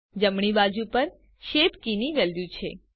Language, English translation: Gujarati, On the right side is the value of the shape key